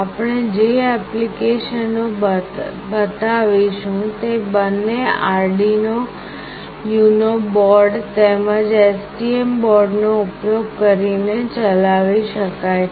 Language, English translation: Gujarati, The applications that we will be showing can be run using both Arduino UNO board as well as STM board